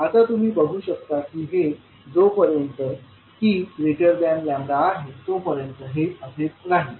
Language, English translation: Marathi, Now if you see this will hold until t is greater than lambda